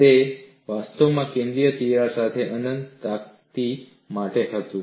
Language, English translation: Gujarati, It was actually for infinite plate with a central crack